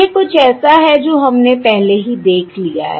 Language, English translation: Hindi, This is something that weíve already seen